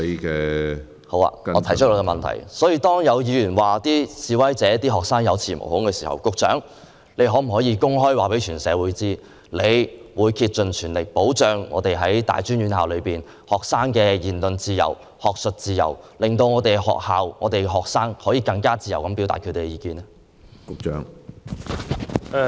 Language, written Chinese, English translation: Cantonese, 局長，當有議員指示威學生有恃無恐，你可否公開告訴社會，你會竭盡全力保障大專院校學生的言論自由及學術自由，令學校和學生可以更自由地表達意見？, Secretary when student protesters are alleged by a Member as being emboldened to make bolder moves can you please tell the public openly that you will make an all - out effort to protect freedom of speech and academic freedom of tertiary students so that both the institutions and their students can have more freedom in expressing their views?